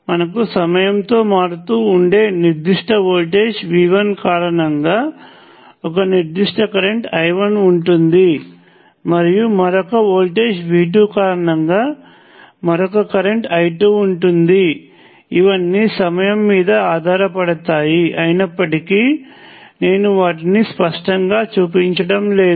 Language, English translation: Telugu, And if you have certain current I 1, because of particular voltage V 1 which is varying with timing in some way; and another current because of another voltage way form V 2, these are all functions of time, all though, I am not showing them explicitly to be so